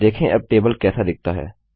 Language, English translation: Hindi, See how the Table looks now